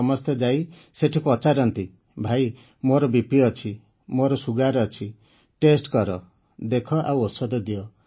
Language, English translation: Odia, Everyone there asks that brother, we have BP, we have sugar, test, check, tell us about the medicine